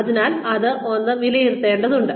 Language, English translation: Malayalam, So, that is something, one needs to assess